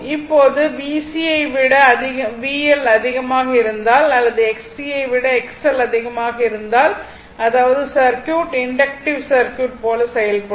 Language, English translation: Tamil, Now, if it is given that if V L greater than V C, that is V L greater than V C or if X L greater than X C right, that means, circuit will behave like inductive circuit